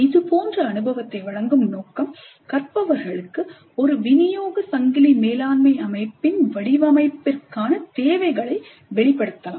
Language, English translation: Tamil, Now the purpose of providing an experience like this to the learners can be to elicit the requirements for the design of a supply chain management system